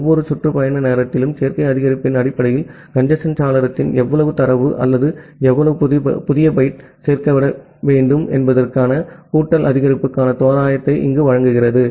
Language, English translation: Tamil, This gives an approximation of the additive increase that how much data or how much new byte need to be added to the congestion window to follow the or to increase the congestion window value based on additive increase at every round trip time